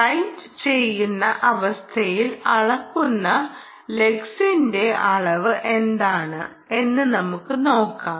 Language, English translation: Malayalam, let us see, under writing condition, what is the amount of lux that is being measured for that